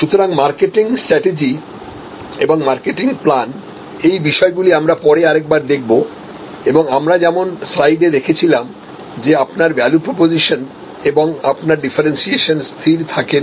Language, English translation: Bengali, So, marketing strategy and marketing plan we will revisit this particular issue and as I was mentioning as you see on the slide, that your value proposition as well as your differentiation will not be static